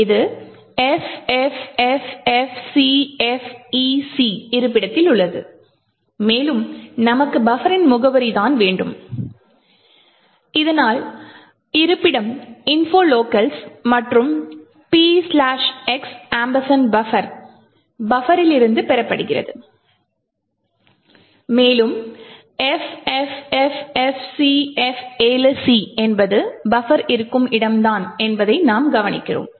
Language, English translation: Tamil, This is at the location FFFFCFEC and further more we want the address of buffer so that is obtained from the location info locals and P slash x ampersand buffer and we note that FFFFCF7C is where the buffer is present so that is that means the buffer is actually present somewhere here